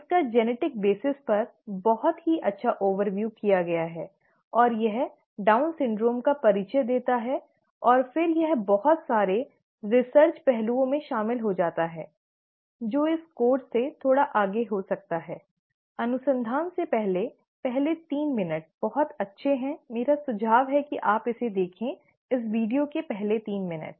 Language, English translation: Hindi, It has a very nice overview of the genetic basis itself, and it gives an introduction to the Down syndrome, and then it gets into a lot of research aspects, that might be a little beyond this course, the research aspects, the first three minutes are very nice, I would recommend that you watch this, the first three minutes of this video